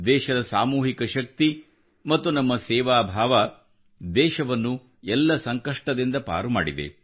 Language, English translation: Kannada, Her collective strength and our spirit of service has always rescued the country from the midst of every storm